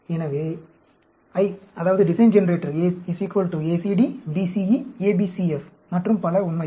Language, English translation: Tamil, So, the I, that is the design generator, is equal to ACD, BCE, ABCF, and so on, actually